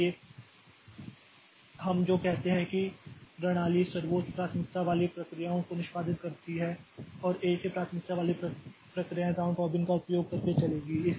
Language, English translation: Hindi, So, what we say is the system executes the highest priority process process and processes its same priority will run using round robin